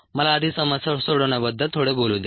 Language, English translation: Marathi, let me first talk a little bit about problem solving